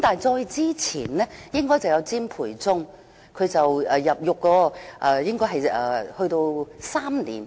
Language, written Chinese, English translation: Cantonese, 再之前應該是詹培忠，他被判入獄大約3年。, And before that it was CHIM Pui - chung who was sentenced to imprisonment for about three years